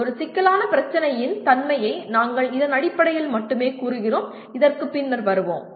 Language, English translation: Tamil, We just state the nature of a complex problem only in terms of this and we will come back to that at a later date